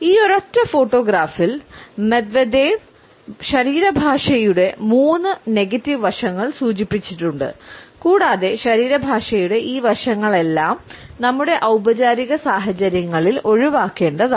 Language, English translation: Malayalam, Medvedev has indicated three negative aspects of body language in this single photograph and all these rates of body language are the ones we should be avoided in our formal situations